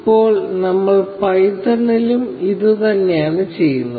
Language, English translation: Malayalam, Now, we are doing the same thing in python